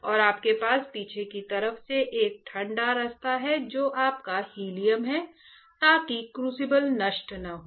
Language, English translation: Hindi, And you have a cooling way from the back side which is your helium so, that the crucible is not destroyed alright